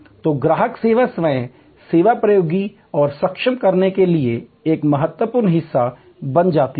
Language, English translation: Hindi, So, customer education becomes an important part to enable self service technology